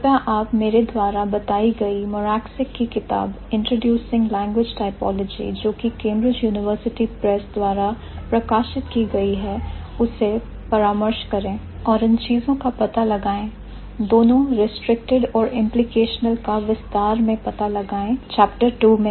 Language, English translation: Hindi, In detail, please go back to the book that I have suggested Morabzik's book introducing language typology published by Cambridge University Press and find out these things, both this restricted and implicational ones in more detail in the second chapter I think